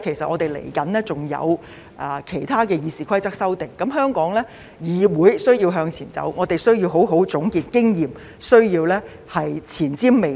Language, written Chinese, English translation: Cantonese, 我們接下來還有其他關於《議事規則》的修訂，香港議會需要向前走，我們亦需要好好總結經驗，需要前瞻未來。, For the next stage we will still have other amendments in relation to RoP . The legislature of Hong Kong needs to move forward and we need to properly take stock of the experience gained and be forward looking